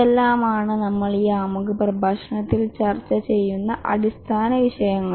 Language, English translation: Malayalam, So, these are the basic topics we will discuss in this introductory lecture